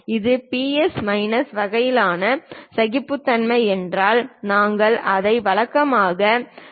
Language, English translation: Tamil, If it is plus minus kind of tolerances we usually show it in terms of 2